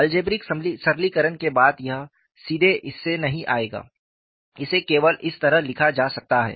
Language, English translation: Hindi, So, what I get after algebraic simplification is, you take this as algebraic simplification; it will not directly come from this after algebraic simplification, only it can be written in this fashion